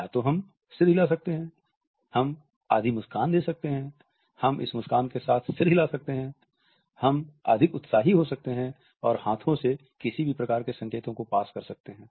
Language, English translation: Hindi, Either we can give a nod, we can give half a smile, we can combined that nod in this smile, we might choose to be more enthusiastic and pass on any type of hand signals also